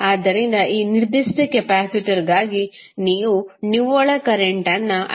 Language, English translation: Kannada, So, for this particular capacitor you will have net current as I 1 minus I 2